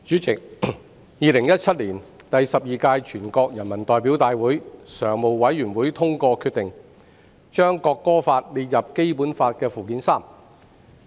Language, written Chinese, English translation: Cantonese, 代理主席，在2017年，第十二屆全國人民代表大會常務委員會通過決定，把《中華人民共和國國歌法》列入《基本法》附件三。, Deputy Chairman in November 2017 the Standing Committee of the 12 National Peoples Congress NPCSC adopted the decision to add the Law of the Peoples Republic of China on the National Anthem to Annex III to the Basic Law